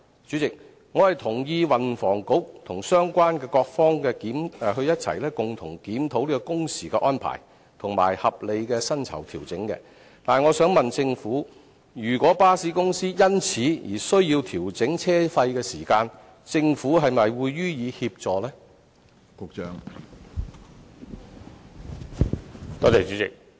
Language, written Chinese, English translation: Cantonese, 主席，我同意運輸及房屋局與相關各方共同檢討工時的安排，並且作出合理的薪酬調整，但我想問政府，如果巴士公司因而需要調整車費，政府會否予以協助呢？, President I support a review of the working hours jointly by the Transport and Housing Bureau and the relevant parties concerned for making reasonable pay adjustments but may I ask the Government should the review arrive at a need for fare adjustment by bus companies will it provide assistance to this effect?